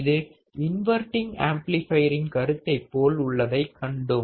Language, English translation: Tamil, We have also seen that this is exactly the similar concept in the inverting amplifier